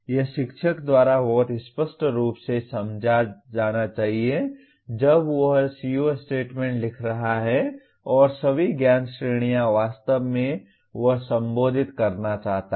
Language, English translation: Hindi, This should be understood very clearly by the teacher when he is writing the CO statement and all the knowledge categories actually he wants to address